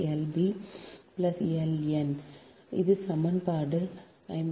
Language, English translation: Tamil, this is equation fifty